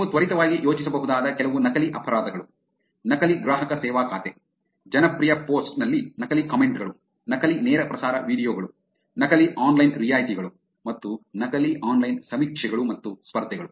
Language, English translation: Kannada, Quickly a few fake crimes that you can think of fake customer service account, fake comments on popular post, fake live streaming videos, fake online discounts, and fake online surveys and contests